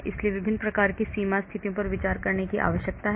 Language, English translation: Hindi, So different types of boundary conditions need to be considered